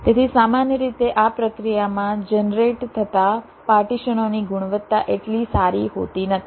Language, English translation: Gujarati, so usually the quality of the partitions that are generated in this process is not so good